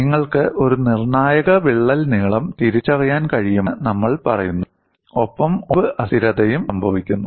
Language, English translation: Malayalam, Then we say that you had you can identify a critical crack length and we say fracture instability occurs